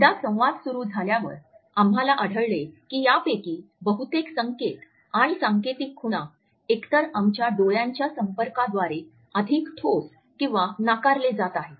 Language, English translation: Marathi, At the same time once the dialogue begins, we find that most on these cues and signals are either reinforced or negated by our eye contact